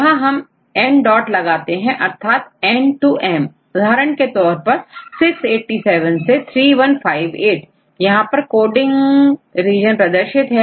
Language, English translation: Hindi, So, we will put n dot dot means from n to m for example, 687 to 3158 see this is the coding region